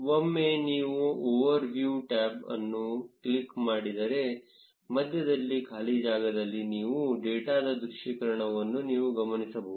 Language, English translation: Kannada, Once you click the over view tab, you will notice the visualization of your data in the blank space in the middle